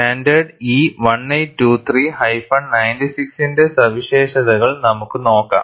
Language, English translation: Malayalam, And we will also see features of standard E 1823 96